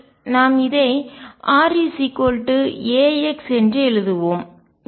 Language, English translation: Tamil, Let us write r equals a x